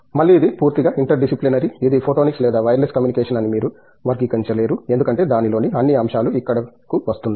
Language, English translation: Telugu, Again, it’s completely interdisciplinary you cannot classify whether it is a photonics or a wireless communication because all aspects of it is coming in there, right